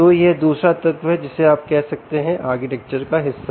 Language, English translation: Hindi, so this is the second element you can say which is part of the architecture